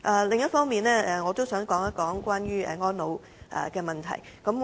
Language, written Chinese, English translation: Cantonese, 另一方面，我亦想談談安老問題。, On the other hand I also wish to discuss elderly care